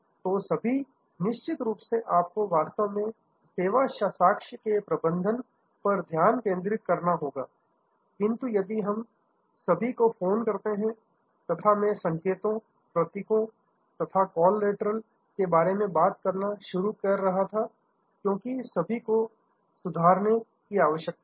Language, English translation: Hindi, So, their of course,, you have to really focus on the managing the service evidence,, but we call all the as I was start talking about the signs, the symbols, the communications, the collaterals as all these need to be improved